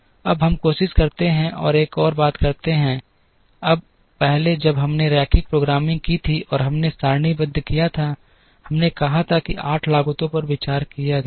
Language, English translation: Hindi, Now, let us try and do one more thing to it, now earlier when we did the linear programming and we did the tabular, we said there are 8 costs were considered